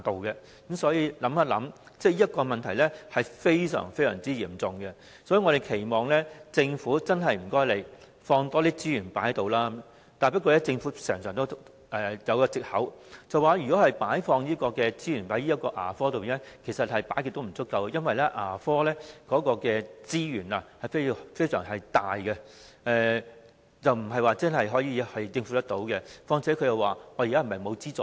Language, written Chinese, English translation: Cantonese, 因此，這個問題非常嚴重，我們期望政府多投放資源在牙科服務上，但政府經常引用的藉口是，無論在牙科投放多少資源都不會足夠，因為牙科服務所需的資源數量龐大，難以全數負擔，況且政府認為現時並非沒有提供資助。, Hence this problem is very serious . We expect the Government to inject more resources into dental services but the Government often excuses itself with the claim that no matter how many resources are injected into dentistry they will still be insufficient because the amount of resources needed by dental services is huge . It can hardly bear the full amount